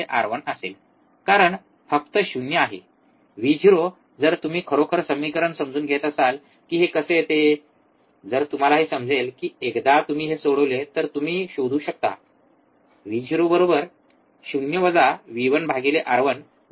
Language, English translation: Marathi, Since, the difference is 0, the Vo if you if you really go on understanding how the equation comes into picture, if you find out that once you solve this you can find Vo equals to 0 minus V 1 by R 1 into R 2